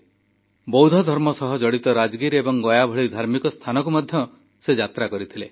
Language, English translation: Odia, He also went to Buddhist holy sites such as Rajgir and Gaya